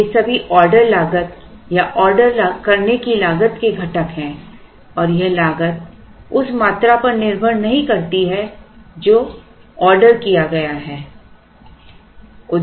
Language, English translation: Hindi, So, all these are the components of what is called order cost or ordering cost and this cost does not depend on – it is assumed that it does not depend on the quantity that is ordered